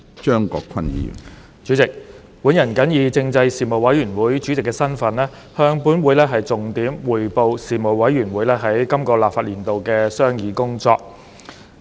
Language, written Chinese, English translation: Cantonese, 主席，本人謹以政制事務委員會主席的身份，向本會重點匯報事務委員會在本立法年度的商議工作。, President in my capacity as Chairman of the Panel on Constitutional Affairs the Panel I now highlight to this Council the Panels deliberations in this legislative session